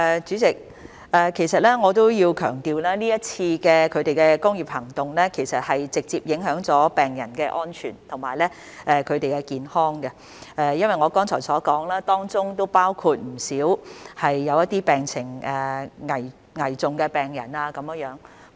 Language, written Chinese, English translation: Cantonese, 主席，我要強調，這次工業行動是直接影響了病人的安全和健康，正如我剛才所說，當中包括不少病情危重的病人。, President I must emphasize that this industrial action has a direct impact on the safety and health of patients . As I have said earlier they include quite a number of patients in critical conditions